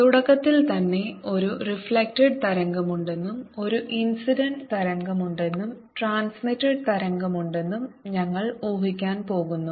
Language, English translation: Malayalam, we are going to assume right in the, the beginning there is a reflected wave, there is an incident wave and there is a transmitted wave